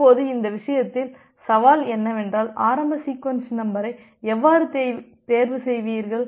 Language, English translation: Tamil, Now, in this case the challenge comes that how will you choose the initial sequence number